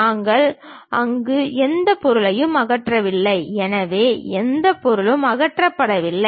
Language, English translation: Tamil, And we did not remove any material there; so there is no material removed